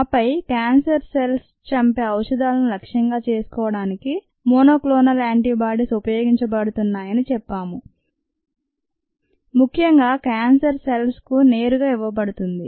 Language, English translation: Telugu, and then we said that monoclonal antibodies are used to target the drugs that kill cancerous cells more directly to the cancer cells